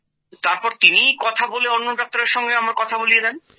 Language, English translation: Bengali, It talks to us and makes us talk to another doctor